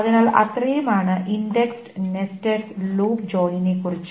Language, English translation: Malayalam, So that is about the index nested loop join